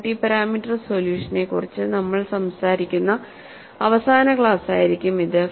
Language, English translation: Malayalam, And this would be the last class, where we would be talking about multi parameter solution